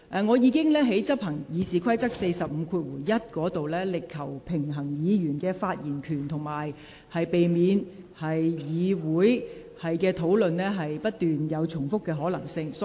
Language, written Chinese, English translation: Cantonese, 我在執行《議事規則》第451條時，已在維護議員發言權利，以及避免議會討論不斷重複之間求取平衡。, A balance was struck between upholding Members right to speak and avoiding repetitive discussion in this Council when I enforced RoP 451